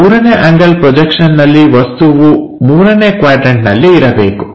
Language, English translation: Kannada, In 3rd angle projection the object supposed to be in the 3rd quadrant